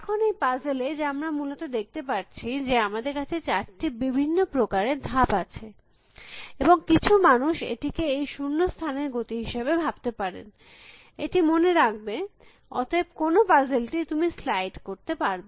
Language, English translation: Bengali, Now, in this puzzle I can have, as we can see basically, four different kinds of moves and some people can to think of it as a movement of this blank, remember this, so what is the puzzle you can slide